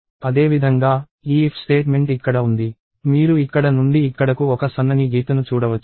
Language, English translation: Telugu, Similarly, this if statement here; you can see a thin line running from here to here